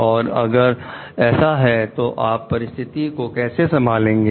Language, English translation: Hindi, If it is so, then how then you handle this situation